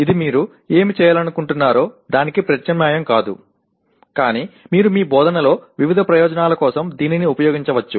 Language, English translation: Telugu, It does not substitute for what you want to do, but you can use it for variety of purposes in your instruction